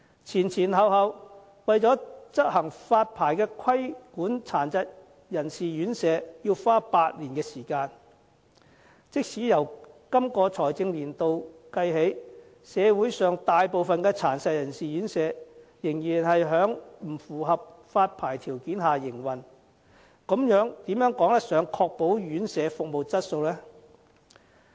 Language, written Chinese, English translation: Cantonese, 前前後後，為了執行發牌規管殘疾人士院舍，便要花8年時間，即使由今個財政年度起計算，社會上大部分殘疾人士院舍仍然是在不符合發牌條件下營運，這如何可以確保院舍服務質素呢？, The Government has altogether spent eight years on the licensing system to regulate RCHDs . Most of the operating RCHDs in Hong Kong still fail to meet the licensing requirements even if we just count those operating RCHDs in this financial year . Then how could the Government ensure the quality of residential care services?